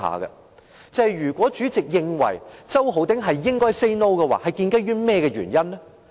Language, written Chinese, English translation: Cantonese, 代理主席認為周浩鼎議員應該 "say no" 是建基於甚麼原因？, What are the Deputy Presidents reasons for thinking that Mr Holden CHOW should say no?